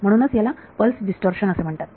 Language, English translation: Marathi, So, this is what is called pulse distortion